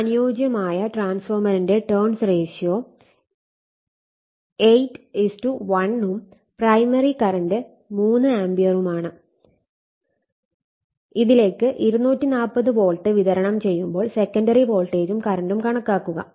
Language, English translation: Malayalam, An ideal transformer it is turns ratio of 8 is to 1 and the primary current is 3 ampere it is given when it is supplied at 240 volt calculate the secondary voltage and the current right